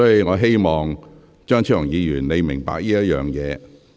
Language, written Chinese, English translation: Cantonese, 我希望張超雄議員明白這一點。, I hope Dr Fernando CHEUNG can understand this point